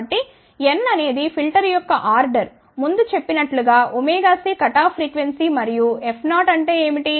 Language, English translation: Telugu, So, n of course, is order of the filter as before omega c is cutoff frequency and what is F 0